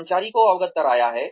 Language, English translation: Hindi, The employee has been appraised